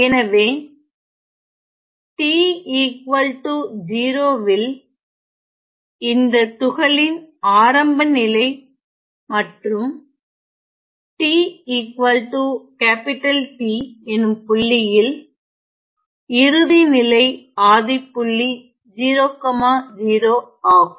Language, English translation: Tamil, So, at t equal to 0 that is the initial position of the particle and at t equal to capital T the final position is the origin 0 comma 0